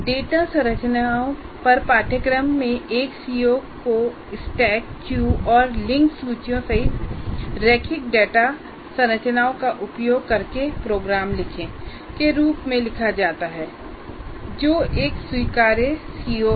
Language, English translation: Hindi, In the course on data structures, one CBO is written as write programs using linear data structures including stack, use, and link list, which is an acceptable CO